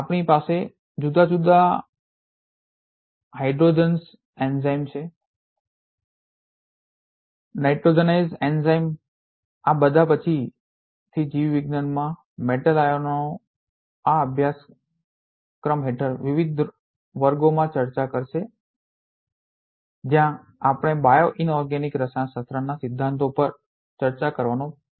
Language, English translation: Gujarati, We have different hydrogenase enzyme, nitrogenase enzyme all these will be discussing subsequently in different classes under this course metals ions in biology where we are trying to discuss the principles of bioinorganic chemistry